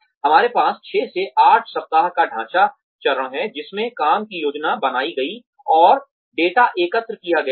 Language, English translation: Hindi, We have the framework phase of 6 to 8 weeks, in which the work is planned, and data is collected